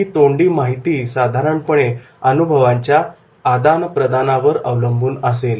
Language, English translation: Marathi, Verbal information is normally on the basis of the experience sharing